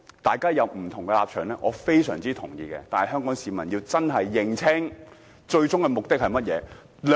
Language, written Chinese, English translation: Cantonese, 大家有不同的立場，我非常同意，但香港市民真的要認清他們最終的目的是甚麼。, I very much agree that we have different stances but Hong Kong people should really see clearly what their ultimate objective is